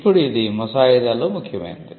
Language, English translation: Telugu, Now this is important in drafting